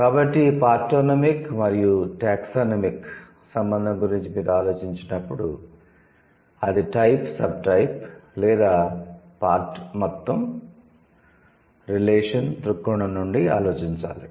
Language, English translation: Telugu, So, this partonomic and taxonomic relation, you have to, you have to think about it from a, from a type, subtype or part whole relation